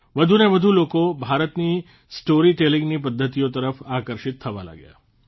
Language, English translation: Gujarati, People started getting attracted towards the Indian storytelling genre, more and more